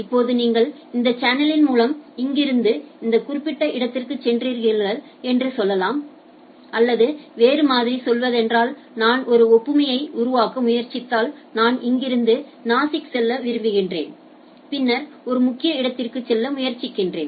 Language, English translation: Tamil, And say now you go to that to this particular through this channel right, or in other sense if I try to make an analogy like I want to go from here to say Nasik and then try to go a major corner I ask that traffic fellow